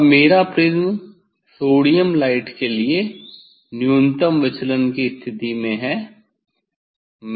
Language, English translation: Hindi, now my prism is at minimum deviation position for the sodium light